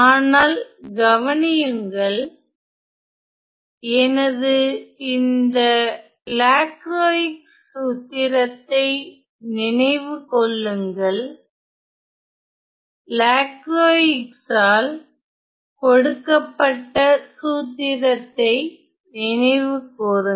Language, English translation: Tamil, But notice, but recall my Lacroix formula here, recall the formula that was given by Lacroix